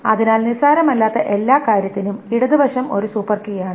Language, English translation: Malayalam, So for every non trivial thing, the left side is a super key